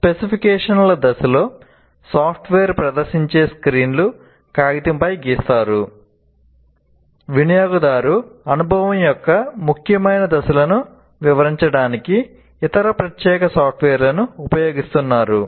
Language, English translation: Telugu, During the specifications, screens that the software will display are drawn, either on paper or using other specialized software to illustrate the important steps of the user experience